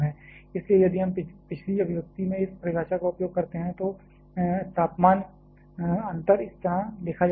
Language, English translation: Hindi, So, if we use this definition in the previous expression the temperature difference can be written like this